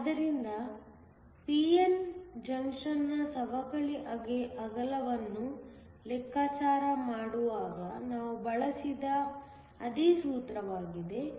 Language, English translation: Kannada, So, this is the same formula that we have used when calculating the depletion width of a p n junction